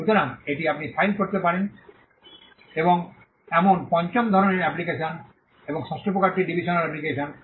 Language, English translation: Bengali, So, that’s the fifth type of application you can file, and the sixth type is a divisional application